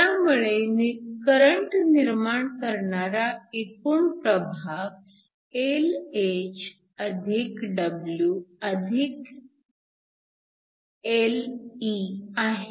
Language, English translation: Marathi, So, The total region from which current is generated is Lh + W + Lh